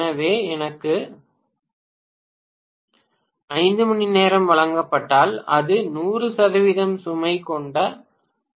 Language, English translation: Tamil, So, if I am given for 5 hours it is working in 0